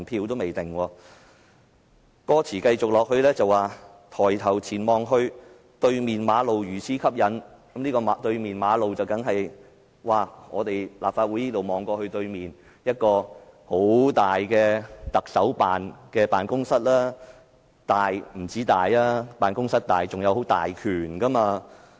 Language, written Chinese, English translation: Cantonese, 往後的歌詞是："抬頭前望去對面馬路如此吸引"，這個"對面的馬路"，所指的意象當然是從立法會綜合大樓看到的對面，就是一幢很大的行政長官辦公室，不單辦公室大，權力當然也大。, The expression across the road of course projects a picture of a building on the opposite side of the road facing the Legislative Council Complex . It is a giant building housing the Office of the Chief Executive . Not only is the office spacious the position is powerful as well